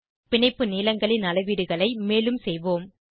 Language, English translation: Tamil, Lets do some more measurements of bond lengths